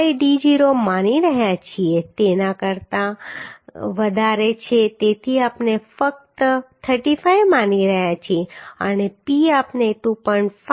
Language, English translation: Gujarati, 5d0 so greater than that so we are assuming simply 35 and p we are assuming 2